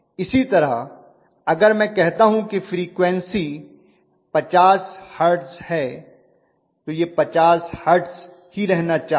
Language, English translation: Hindi, Similarly, the frequency if I say it is 50 hertz, it should remain at 50 hertz